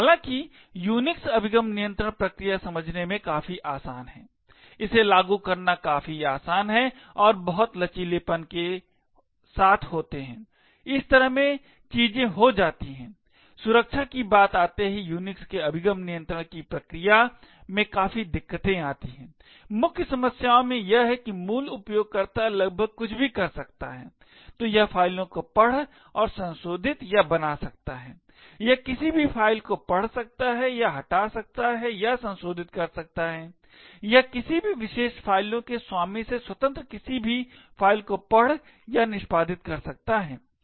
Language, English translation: Hindi, While the Unix access control mechanisms are quite easy to understand, quite easy to implement and permits are lots of flexibility in the way, things are done, there are still a lot of problems in the Unix access control mechanisms when it comes to security, one of the main problems is that the root can do almost anything, so it can read and modify or create files, it can read any or it can delete or modify files, it can read or execute any files, independent of the owner of those particular files